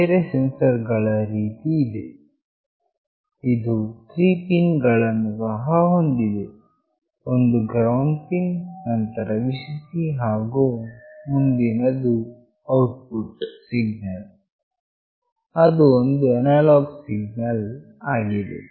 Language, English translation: Kannada, Similar to other sensors, this also has got 3 pins, one is GND, next one is Vcc, and the next one is the output signal that is an analog signal